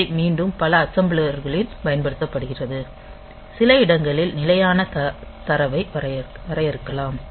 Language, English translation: Tamil, So, this is again used in some many of the assemblers as the as some space at which you can we are we are defining some constant data